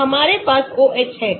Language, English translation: Hindi, so we have Me OH